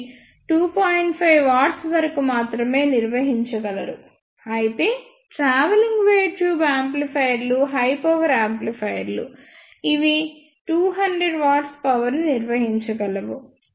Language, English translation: Telugu, 5 watts only; whereas, the travelling wave tube amplifiers are the high power amplifiers when which can ah handle up to 200 watts of power